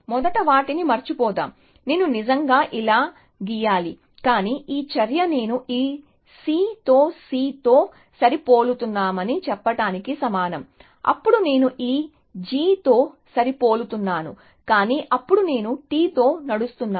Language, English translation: Telugu, So, let us forget the first ones, I should have really drawn this like that, but this move amounts to saying that I am matching C with this C, then I am matching this G with this G, but then I run with T with